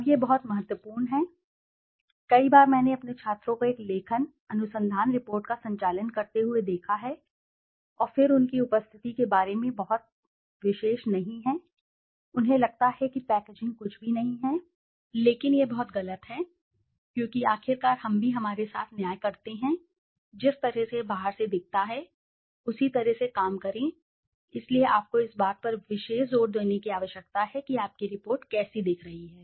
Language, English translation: Hindi, Now this is very, very vital, many a times I have seen my students conducting a writing research report and then not been very particular about their appearance, they feel packaging is nothing but it is very, very wrong because after all we also judge our work by the way it looks from outside, so you need to give special emphasis on how your report is looking